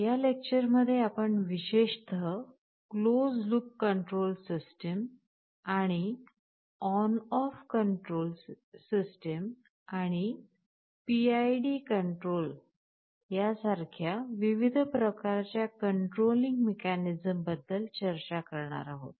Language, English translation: Marathi, In this lecture, we shall be talking particularly about something called closed loop control systems, and the different kinds of controlling mechanism like ON OFF control and PID control